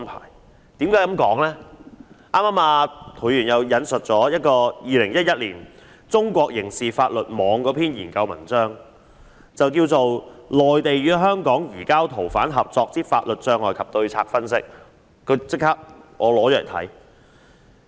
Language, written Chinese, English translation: Cantonese, 涂議員剛才引述了2011年中國刑事法律網的一篇研究文章，題為"內地與香港移交逃犯合作之法律障礙及對策分析"，我便立即拿了來看。, After listening to Mr TO who just quoted a research article entitled An Analysis of Legal Obstacles and Strategies for the Mainland and Hong Kong to Cooperate on the Surrender of Fugitive Offenders published by the China Criminal Justice in 2011 I rushed to read this article